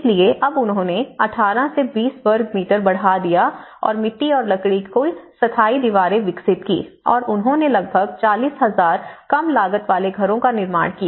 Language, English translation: Hindi, So, now what they did was they developed from 18 square meters to 20 square meters and the permanent walls of adobe and timber and they launched the project build about 40,000 low cost houses